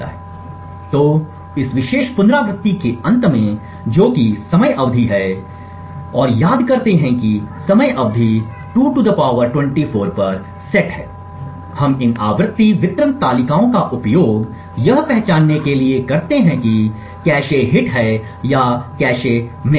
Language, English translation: Hindi, So, at the end of this particular iteration that is the time period and recollect that the time period is set to 2 ^ 24, we use these frequency distribution tables to identify whether a cache hit or cache miss is observed